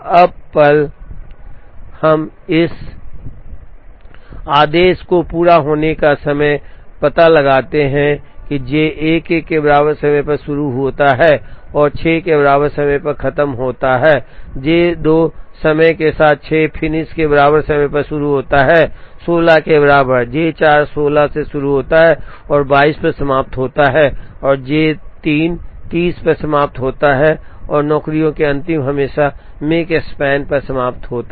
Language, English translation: Hindi, Now, the moment, we find out this order the completion times are J 1 starts at time equal to 0 and finishes at times equal to 6, J 2 starts at time equal to 6 finishes at time equal to 16, J 4 starts at 16 and finishes at 22 and J 3 finishes at 30 the last of the jobs always finishes at the Makespan